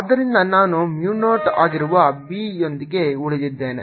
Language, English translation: Kannada, so i am left with b, which is mu zero